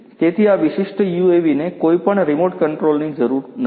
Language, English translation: Gujarati, So, this particular UAV does not need any remote control